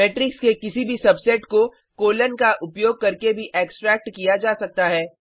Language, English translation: Hindi, Also, any subset of a matrix can be extracted using a colon (:)